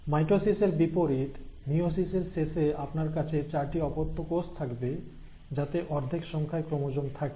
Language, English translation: Bengali, So at the end of meiosis, unlike mitosis, you have four daughter cells with half the number of chromosomes